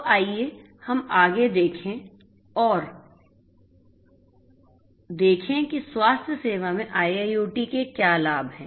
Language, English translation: Hindi, So, let us look further ahead and see what are the benefits of IIoT in healthcare